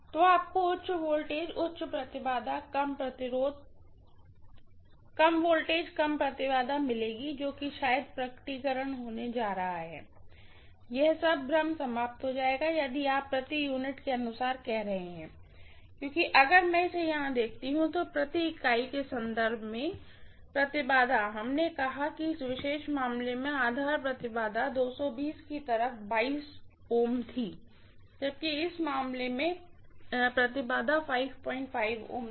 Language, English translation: Hindi, So you are going to have high voltage, high impedance, low voltage, lower impedance, that is the manifestation, all this confusions will be eliminated if you are doing per unit, because if I look at it here, in terms of per unit per unit impedance we said base impedance in this particular case on 220 V side was 22 ohms, whereas base impedance in this case was 5